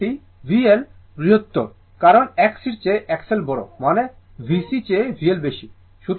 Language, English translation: Bengali, This side because V L greater, because X L greater than X C means V L greater than V C